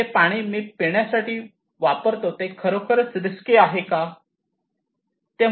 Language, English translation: Marathi, Is it risky is the water I am drinking is it really risky